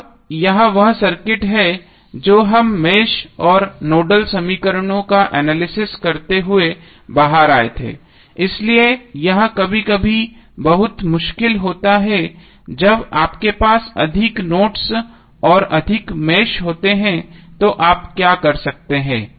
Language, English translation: Hindi, Now this is the circuit we came out while analyzing the mesh and nodal equations, so this sometimes is very difficult when you have more nodes and more meshes, then what you can do